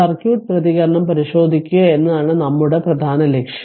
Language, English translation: Malayalam, So, main objective is to examine the circuit response